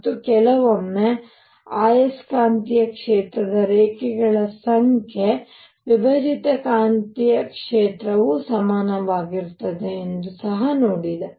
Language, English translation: Kannada, And also saw that at times the number of lines in magnetic field number of lines split magnetic field were even